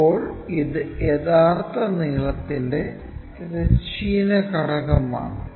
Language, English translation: Malayalam, Now, this is a horizontal component of true length